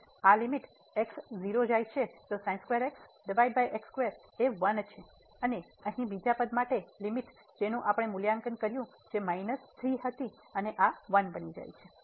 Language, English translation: Gujarati, So, this limit x goes to 0 sin x square over square is 1 and the limit here for the second term which we have evaluated which was minus 3 and this one becomes 1